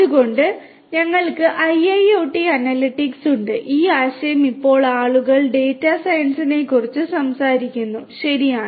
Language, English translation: Malayalam, So, so, we have IIoT analytics; the concept nowadays you know people are talking about data science, right